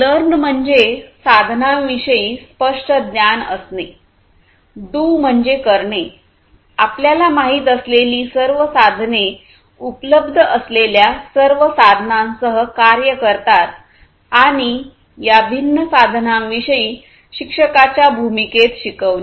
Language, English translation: Marathi, Learn means having clear knowledge about the tools; do means perform, all the tools you know act with all the tools that are available, and teach move into the role of a teacher to teach about these different tools